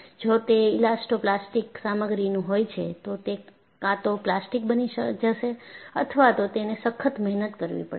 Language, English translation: Gujarati, If it is an elastoplastic material, it will either become plastic or it will have some work hardening